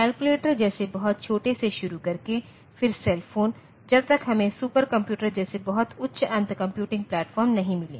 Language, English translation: Hindi, Starting from a very small like calculators, then cell phones and very small applications till we have got very high end computing platforms like supercomputers